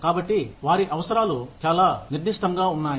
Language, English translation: Telugu, So, their needs are very specific